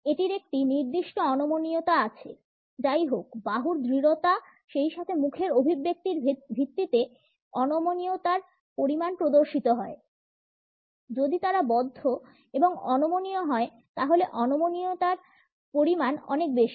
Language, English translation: Bengali, It does have a certain rigidity; however, the extent of rigidity is displayed on the basis of the rigidity of arms, as well as the facial expressions; if they are closed and rigid then the extent of rigidity is great